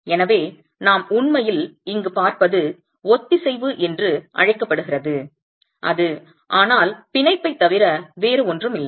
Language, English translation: Tamil, So, what we are really looking at here is what is called cohesion which is nothing but bond